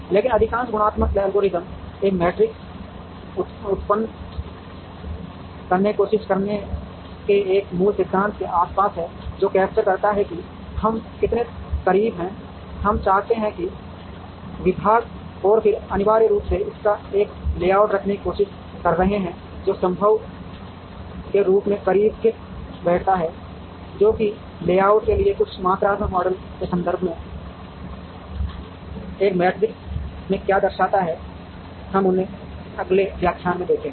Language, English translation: Hindi, But, most qualitative algorithms are around a basic principle of trying to generate a matrix, which captures how close, we want the departments to be and then, essentially trying to have a layout of these, which fits as close to possible, as what as what is represented in this matrix with regard to some of the quantitative models for layout, we will see them in the next lecture